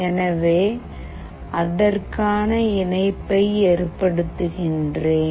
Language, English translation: Tamil, So, let me connect it